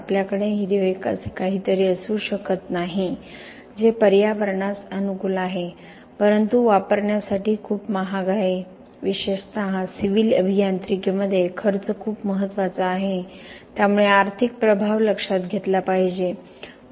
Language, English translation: Marathi, We cannot have something that is green very environmentally friendly but very expensive to use, especially in civil engineering cost is very very important so there is the economic impact to be taken into account